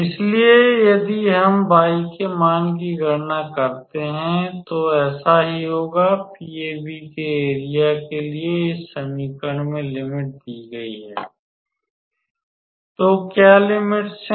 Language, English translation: Hindi, So, if we calculate the value of y then that will be so, for the area of PAB the limits are given in the equation from; so, what are the limits